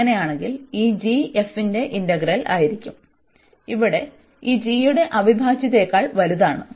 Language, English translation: Malayalam, In that case, the integral of this g, f will be also greater than the integral of this g here